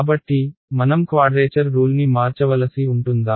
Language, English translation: Telugu, So, will I have to change the quadrature rule